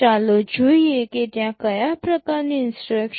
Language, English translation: Gujarati, Let us see what kind of instructions are there